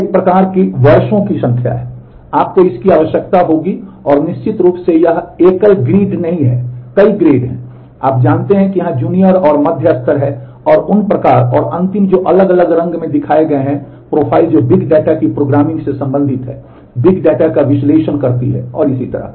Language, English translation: Hindi, There is a kind of number of years, you would need and of course it is not a single grid there are multiple grades, you know junior and mid levels in here and those kind and last which have shown in different color are the whole set of profiles which relate to programming the big data, analyzing the big data and so on